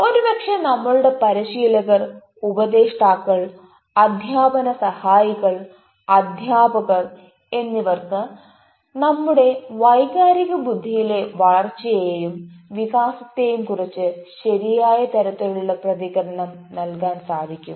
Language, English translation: Malayalam, maybe our trainers, our counselors, our assessors, our teaching assistants, teachers they maybe the right person to give us the right kind of feedback on our growth and development in our emotional intelligence